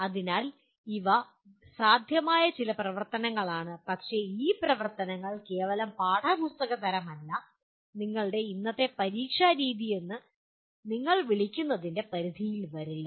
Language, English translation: Malayalam, So these are some possible activities but these activities are not merely textbook type nor just come into the purview of a what do you call our present method of examination